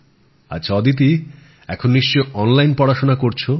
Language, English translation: Bengali, Ok Aditi, right now you must be studying online